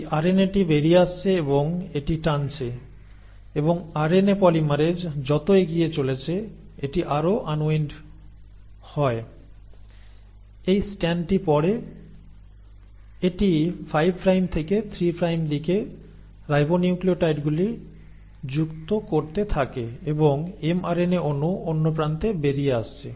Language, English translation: Bengali, And this RNA is then coming out and it pulling out and as RNA polymerase is moving forward it further unwinds it, reads this strand, keeps on adding the ribonucleotides in its 5 prime to 3 prime direction and the mRNA molecule is coming out at the other end